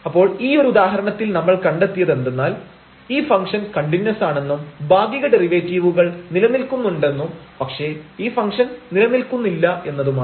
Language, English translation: Malayalam, So, what we have observed in this example, that the function is continuous and it is partial derivatives exist, but the function is not differentiable